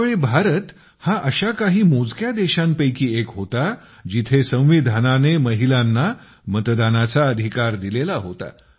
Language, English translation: Marathi, During that period, India was one of the countries whose Constitution enabled Voting Rights to women